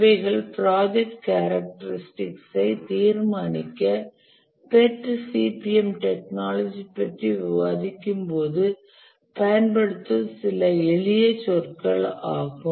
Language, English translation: Tamil, These are some of the simple terminologies that we will use as we discuss about the POTCPM technique to determine project characteristics